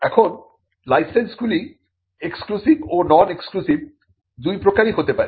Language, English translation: Bengali, Now, licenses can be exclusive licenses; they can also be non exclusive licenses